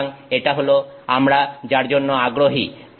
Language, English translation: Bengali, So, this is what we are interested in